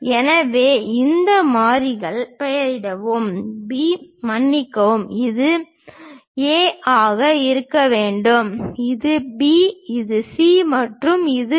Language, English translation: Tamil, So, name these variables A I am sorry this is supposed to be A, this is B, this is C and this is D